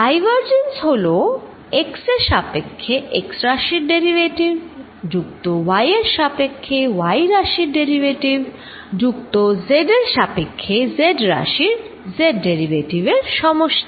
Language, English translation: Bengali, The divergence that is sum of the x component derivatives with respect to x plus the y component derivative with respect to y and z component z derivatives with respect to z